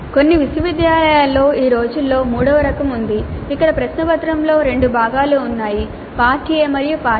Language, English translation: Telugu, There is a third type which has become more prominent these days in some of the universities where the question paper has two parts, part A and part B